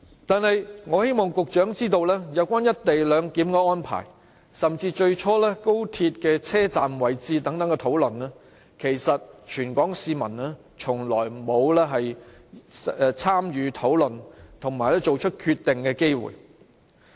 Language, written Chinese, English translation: Cantonese, 然而，我希望局長知道，有關"一地兩檢"的安排，甚至最初有關高鐵車站位置的討論，其實全港市民從來沒有參與討論或作出決定的機會。, But I want the Secretary to realize that the people of Hong Kong have never had any chances to discuss or decide on the co - location arrangement and even the location of the XRL Station